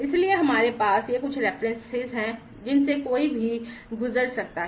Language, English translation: Hindi, So, we have these are the some of the references that one can go through